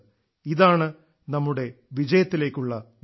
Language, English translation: Malayalam, This indeed is the path to our victory